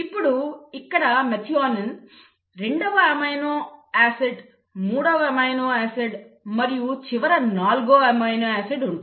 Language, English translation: Telugu, So you have the methionine, the second amino acid, the third amino acid, right, and the final the fourth amino acid